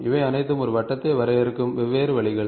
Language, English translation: Tamil, These are all different ways of defining a circle